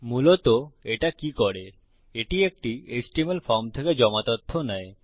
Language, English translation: Bengali, What it basically does is, it takes submitted data from an HTML form